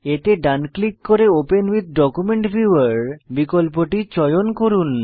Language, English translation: Bengali, Right click on the file and choose the option Open with Document Viewer